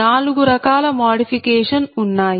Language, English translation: Telugu, so there are four types of modification